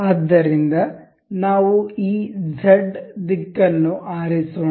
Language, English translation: Kannada, So, let us select this Z direction